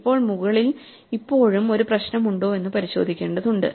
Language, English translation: Malayalam, Now, we have to check whether there is still a problem above